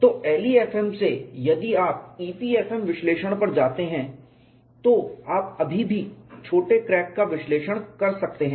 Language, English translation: Hindi, So, from LEFM if you go to EPFM analysis, you could analyze still smaller cracks, but it does not start from 0